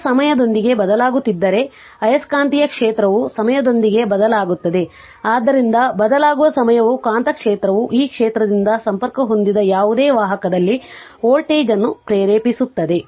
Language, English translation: Kannada, If the current is varying with time that you know then the magnetic field is varying with time right, so a time varying magnetic field induces a voltage in any conductor linked by the field this you know